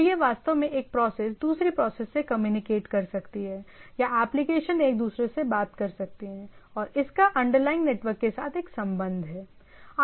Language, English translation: Hindi, So, that that actually what gives us that realization of how a process can communicate to process, or a application talks to each other, and that has a with the with the underlying network